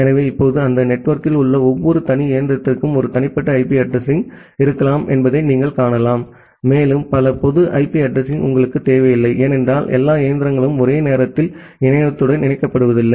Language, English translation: Tamil, So, now, you can see that every individual machine inside that network may have one private IP address and you do not require that many of public IP address because all the machines are not getting connected to the internet simultaneously